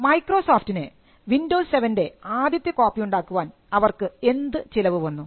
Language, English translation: Malayalam, How much does it cost anyone to make another copy of windows 7